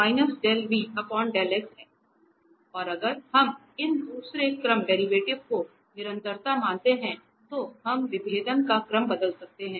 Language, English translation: Hindi, So, now if we assume the continuity of these second order derivative, so we can change the order of differentiation